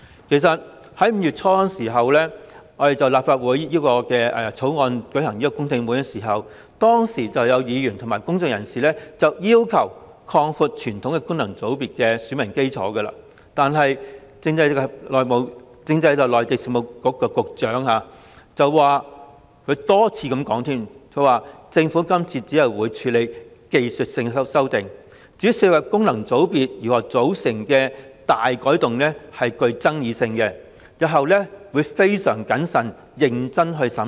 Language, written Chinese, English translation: Cantonese, 其實在5月初，立法會曾就《條例草案》舉行公聽會，當時有議員及公眾人士要求擴闊傳統功能界別的選民基礎，但政制及內地事務局局長多次重申，政府今次只會處理技術性修訂，而涉及功能界別如何組成的大改動具爭議性，因此會在日後非常謹慎和認真地審視。, Actually in early May the Legislative Council held a public hearing on the Bill . At that time Members and members of the public demanded the broadening of the electorate base of traditional FCs . However the Secretary for Constitutional and Mainland Affairs reiterated that the Government would only deal with technical amendments in the current exercise and given that any substantial changes in the composition of FC would be highly controversial the issue would be examined very carefully and seriously in future